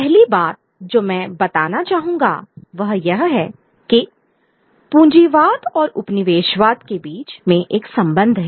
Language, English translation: Hindi, The first point that I would like to make is there is a linkage between capitalism and colonialism